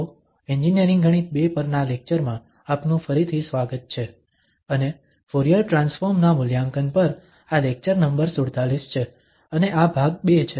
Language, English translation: Gujarati, So, welcome back to lectures on Engineering Mathematics II and this is lecture number 47 on evaluation of Fourier Transform and this is part II